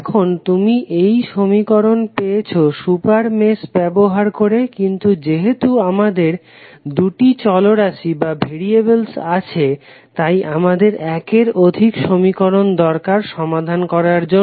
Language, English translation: Bengali, Now, you have got one equation using super mesh but since we have two variables we need more than one equation to solve it